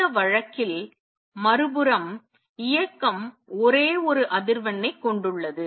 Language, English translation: Tamil, On the other hand in this case the motion contains only one frequency